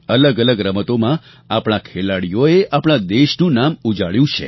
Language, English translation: Gujarati, In different games, our athletes have made the country proud